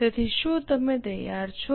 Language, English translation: Gujarati, So, are you ready